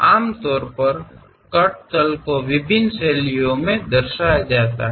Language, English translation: Hindi, Usually cut planes are represented in different styles